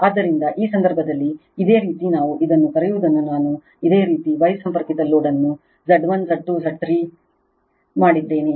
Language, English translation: Kannada, So, in this case your, what we call this is I have made you the star connected load this is Z 1, Z 2, Z 3